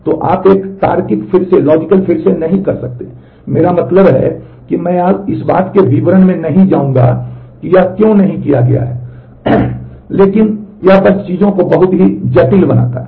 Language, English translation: Hindi, So, you do not do a logical redo I mean, I will not go into the details of why this is not done, but it simply makes things very complicated